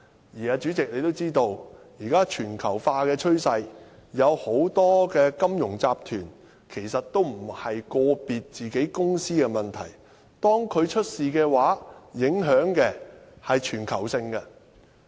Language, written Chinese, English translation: Cantonese, 而主席，你也知道，鑒於現時全球化的趨勢，很多金融集團出現問題時，其實都不是個別公司的事情，其影響是全球性的。, And President as you must know in the light of globalization the problems of many financial groups are not just the matters of some individual companies; their impact is global